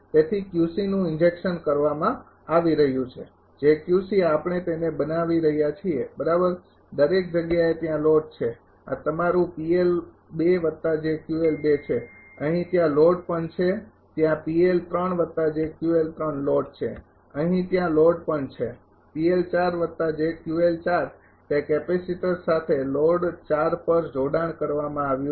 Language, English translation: Gujarati, So, Q C is being injected Q C is being injected, j Q C we are making it right and everywhere the load is there load is there everywhere this is your P L 2 plus j Q L 2 here also load is there P L 3 plus j Q L 3 load is there here also load is there, P L 4 plus j Q L 4 along with that capacitor is connected at load 4